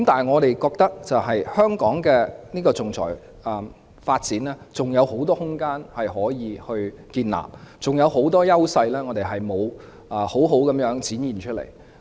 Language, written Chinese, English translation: Cantonese, 我認為香港還有很多可以發展仲裁服務的空間，我們還有很多優勢尚未展現出來。, I think there is still much room for Hong Kong to develop arbitration services and we have not given full play to many of our advantages